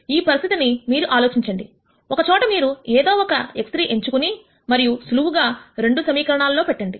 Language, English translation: Telugu, You can think of this situation as one where you could choose any value for x 3 and then simply put it into the 2 equations